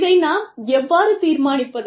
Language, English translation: Tamil, And, how do we decide this